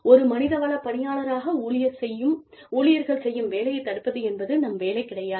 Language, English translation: Tamil, Our job, as human resources personnel, is not to prevent, people from doing, what they are doing